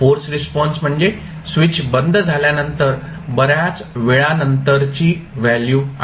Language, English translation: Marathi, Forced response is the value of the current after a long time when the switch is closed